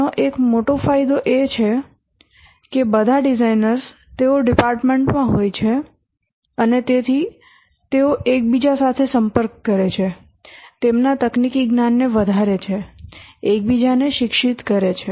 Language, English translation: Gujarati, One of the major advantage of this is that all designers they are in a department and therefore they interact with each other, enhance their technical knowledge, educate each other and so on